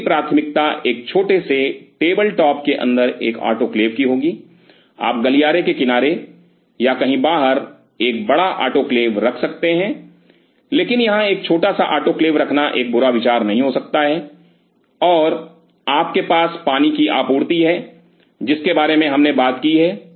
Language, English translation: Hindi, So, my preference will be having an autoclave inside a small table top, you can have a big autoclave outside maybe on the side of the corridor or somewhere, but a small one out here may not be a bad idea, and you have the water supply we talked about it